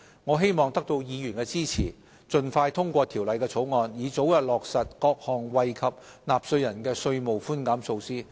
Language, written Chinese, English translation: Cantonese, 我希望得到議員支持，盡快通過《條例草案》，以早日落實各項惠及納稅人的稅務寬減措施。, I hope Honourable Members will support and pass the Bill early to facilitate convenient operation for the trades whereas the authorities will make every effort to support to the Legislative Council in the scrutiny of the Bill